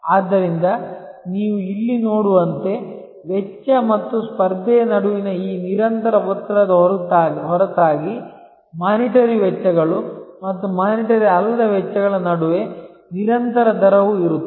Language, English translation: Kannada, So, as you can see here, besides this constant pressure between cost and competition, there is also a constant rate of between monitory costs and non monitory costs